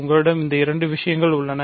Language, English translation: Tamil, So, you have these two things